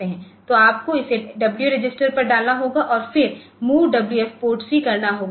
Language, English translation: Hindi, So, you have to put it on the W register and then MOVWF PORTC